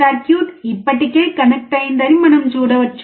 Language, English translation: Telugu, We can see that the circuit is already connected